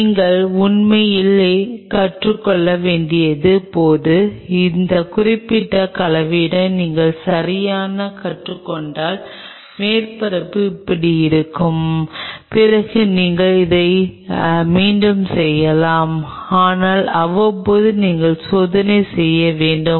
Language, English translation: Tamil, When you have to really learn and once you exactly learn with that particular composition the surface will look like this then you can repeat it, but time to time you have to cross check